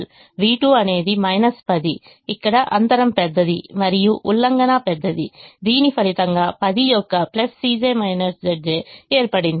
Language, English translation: Telugu, v two is minus ten, where the gap is large and the violation is large, which has resulted in a positive c j minus z j of ten